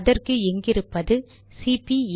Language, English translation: Tamil, There you are, this is cp82